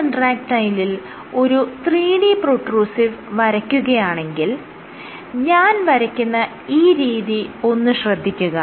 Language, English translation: Malayalam, So, in 3D contractile see if I were to draw a 3D protrusive and you have, the way I have drawn it